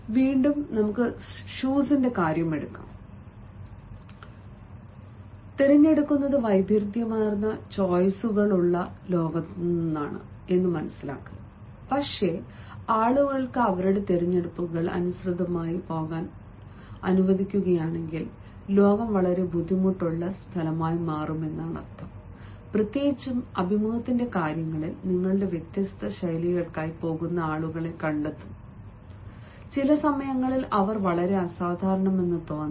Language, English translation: Malayalam, when it comes to shoes, again, you know we live in the world where there are variety of choices, but then if people are allowed to go according to their choices, the world will become a very difficult place and specially during interviews, you will find people going for different styles and and at times they may appear to be very unusual